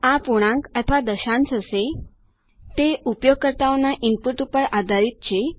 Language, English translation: Gujarati, This will be an integer or decimal, depending on the user input